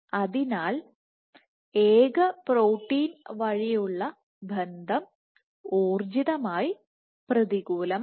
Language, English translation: Malayalam, So, connection mediated via single protein is energetically unfavorable